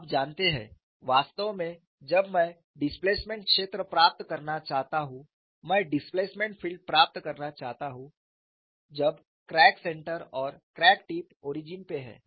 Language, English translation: Hindi, You know our interest is to get the displacement field with crack center as the origin as well as crack tip as the origin